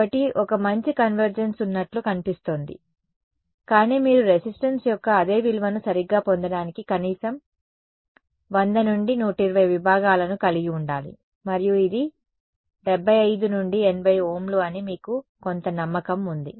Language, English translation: Telugu, So, there seems to be a good convergence, but you need to have at least about 100 to 120 segments to get the same value of resistance right and you have some confidence that it's about 75 to 80 Ohms